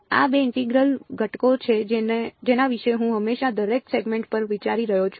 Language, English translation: Gujarati, These are the two integrals that I am always thinking about over each segment ok